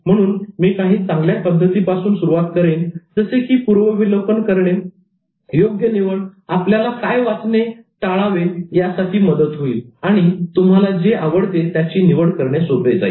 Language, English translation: Marathi, So I started with some good techniques such as reviewing sampling which will help you to eliminate what you do not want to read and choose the one you like to read